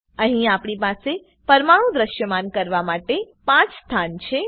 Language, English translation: Gujarati, Here we have 5 positions to display atoms